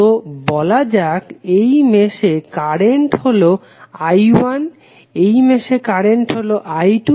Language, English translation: Bengali, So, let us say that in this particular mesh the current is I 1, in this mesh is current is I 2